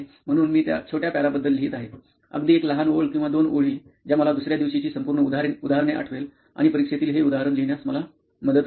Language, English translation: Marathi, So I just write about that short para, very short one line or two lines, which will recollect me the entire example the next day and which will help me to write down that example in the exam